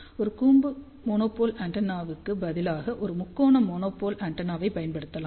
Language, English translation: Tamil, So, one can use conical monopole antenna instead of a conical monopole antenna, a triangular monopole antenna can also be used